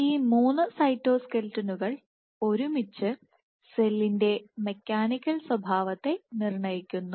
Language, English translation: Malayalam, So, these three cytoskeletons collectively dictate the mechanical behavior of the cell